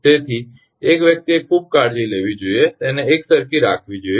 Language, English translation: Gujarati, So one has to be very careful that it should be uniformly placed